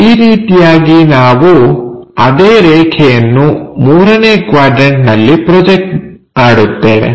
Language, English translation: Kannada, This is the way we project the same line in the 3rd quadrant